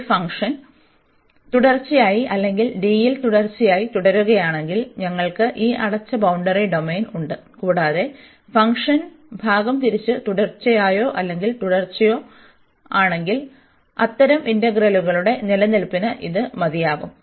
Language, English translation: Malayalam, If this function is continuous or piecewise continuous in D, so we have this closed boundary domain and if the function is piecewise continuous or continuous, so this is sufficient for the existence of such integrals